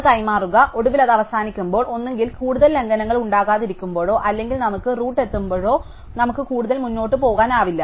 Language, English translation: Malayalam, So, exchange that and finally, when it stops, when either there are no more violations or when we reach the root in which case we cannot go up any further, right